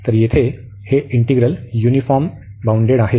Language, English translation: Marathi, So, these integrals here are uniformly bounded